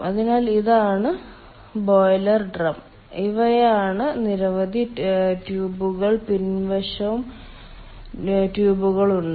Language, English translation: Malayalam, so this is the boiler drum and these are the ah, these many tubes, and back side also there are tubes